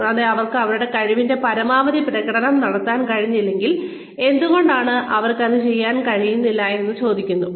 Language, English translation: Malayalam, And, if they have not been able to perform to their fullest potential, why they have not been able to do so